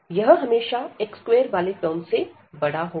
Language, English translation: Hindi, And this will be greater than always greater than x square term